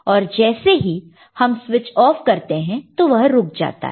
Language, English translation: Hindi, Then you switch or switch it off then it stops